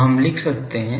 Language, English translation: Hindi, So, we can write that